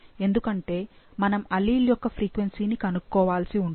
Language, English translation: Telugu, Because we are, we need to calculate a frequency for a allele